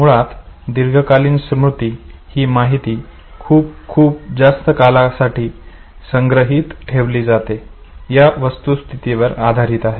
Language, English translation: Marathi, Long term memory basically refers to the fact that the information is stored for a very, very long period of time